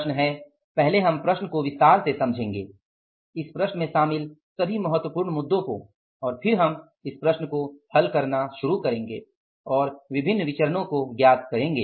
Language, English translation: Hindi, The problem is first we will understand the problem in detail all the important issues involved in this problem and then we will start solving this problem and calculate different variances